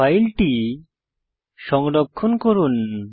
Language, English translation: Bengali, Save your file